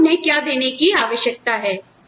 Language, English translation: Hindi, What do you need to give them